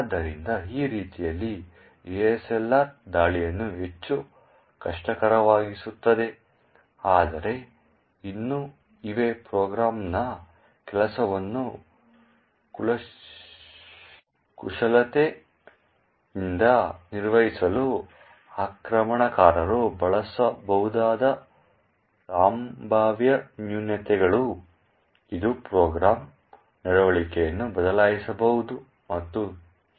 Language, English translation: Kannada, So in this way even though ASLR actually makes attacks much more difficult but still there are potential flaws which an attacker could use to manipulate the working of the program, it could actually change the behaviour of the program and so on